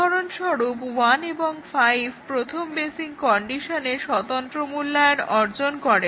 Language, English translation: Bengali, For example, 1 and 5 achieve independent evaluation of the first basic condition